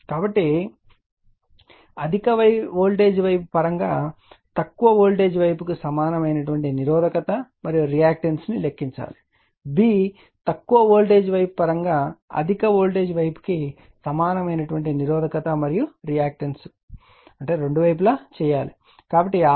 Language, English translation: Telugu, So, calculate the equivalent resistance and reactance of low voltage side in terms of high voltage side, b, equivalent resistance and reactance of high voltage side in terms of low voltage side both side you have to get it, right